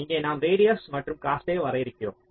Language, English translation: Tamil, ok, so here we are defining radius and cost